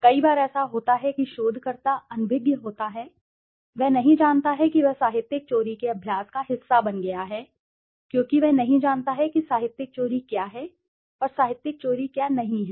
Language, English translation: Hindi, Many a times it happens that the researcher is unaware, he does not know that he has become part of the practice of plagiarism because he does not know what is plagiarism and what is not plagiarism